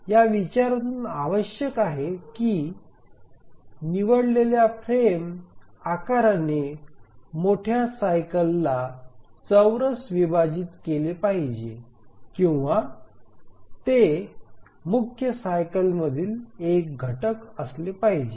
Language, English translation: Marathi, From this consideration we require that the frame size that is chosen should squarely divide the major cycle or it must be a factor of the major cycle